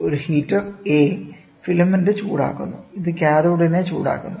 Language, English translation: Malayalam, It that is heater A heats the filament which in turn heats the cathode